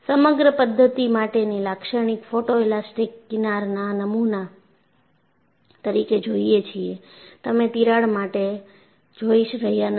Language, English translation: Gujarati, And you see the typical photo elastic fringe pattern for the whole system; you are not seeing for the crack